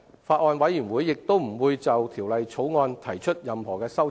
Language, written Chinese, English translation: Cantonese, 法案委員會亦不會就《條例草案》提出任何修正案。, The Bills Committee also will not propose any amendment to the Bill